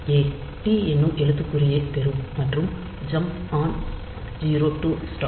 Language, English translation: Tamil, So, a will get the character t and jump on 0 to stop